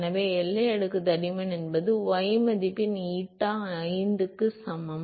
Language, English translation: Tamil, So, boundary layer thickness is that y value for which eta is equal to 5